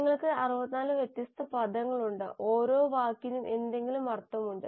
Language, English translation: Malayalam, You have 64 different words, each word meaning something